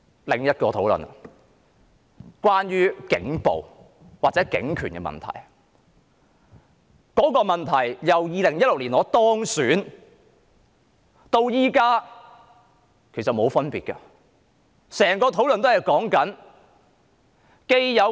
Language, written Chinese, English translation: Cantonese, 另外，有關警暴或警權問題的討論，由我2016年當選至今，其實情況從來沒有兩樣。, Besides concerning the discussion on police violence or police powers actually there has been no changes in the situation since I was elected in 2016